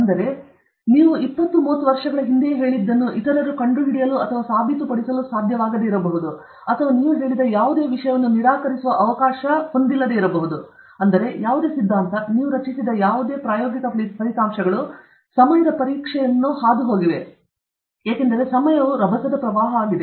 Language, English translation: Kannada, So that there is an opportunity for others to find out and prove or disprove whatever you said, whatever you said some 20 30 years back; therefore, whatever concept, whatever theory, whatever experimental results you have generated have they withstood the test of time okay, because time is a violent torrent okay